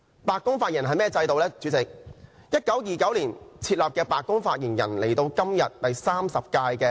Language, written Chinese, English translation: Cantonese, 白宮發言人職位於1929年設立，現時的發言人為第三十任。, The post was created in 1929 and the incumbent White House Press Secretary is the 30 post holder